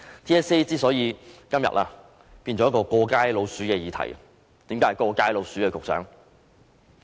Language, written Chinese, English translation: Cantonese, TSA 今天變成一個"過街老鼠"的議題，局長，為何是"過街老鼠"呢？, The subject of TSA has now become a scurrying rat which everyone wants to get rid of . Secretary why is TSA like a scurrying rat?